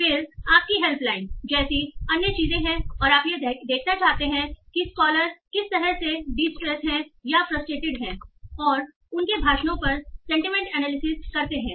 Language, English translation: Hindi, Then there are other things like your helpline and you want to see whether the callers are somehow distressed, are frustrated and so on by doing sentiment analysis over their speeches